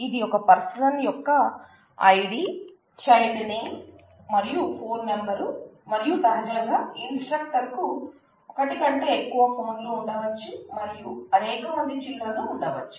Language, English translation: Telugu, This is an information relating the idea of a person, the name of the child and the phone number and naturally the person, the instructor may have more than one phone and may have multiple children